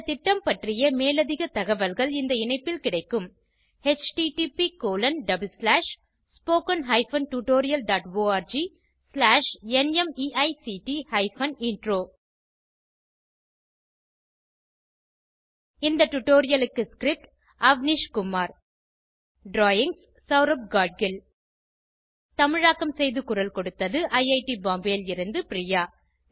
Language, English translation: Tamil, More information on this mission is available at http://spoken tutorial.org/NMEICT Intro The script is contributed and narrated by Avnish Kumar , drawings are by Saurabh Gadgil This is Avnish signing off from IIT Bombay